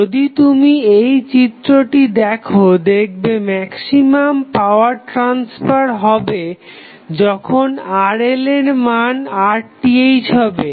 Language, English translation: Bengali, If you see this figure, the maximum power transfer to the load happens at the value of Rl which is equal to Rth